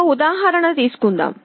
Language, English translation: Telugu, Let us take an example